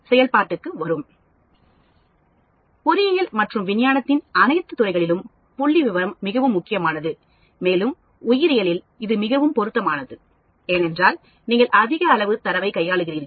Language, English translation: Tamil, Statistics is very very important in all fields of engineering, and science, and in biology it is much more relevant, because you deal with large amount of data